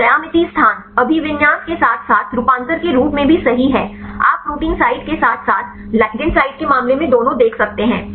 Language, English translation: Hindi, So, geometry is terms as location, orientation as well as the conformation right you can see both in the case of the protein site as well as the ligand site